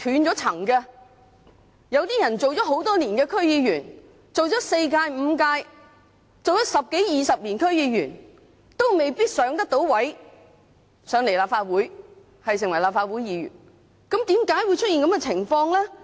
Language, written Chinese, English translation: Cantonese, 有些區議員做了很多年 ，4 屆、5屆，十多二十年，亦未必可以晉身立法會，成為立法會議員，為甚麼會出現這個情況呢？, Some DC members have served for many years―four or five terms in 10 to 20 years―and still may not be able to enter the Legislative Council and become a Member . Why is it so?